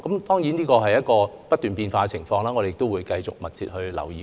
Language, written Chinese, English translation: Cantonese, 當然，情況不斷變化，我們會繼續密切留意。, Certainly we will continue to keep a close watch on the changing situation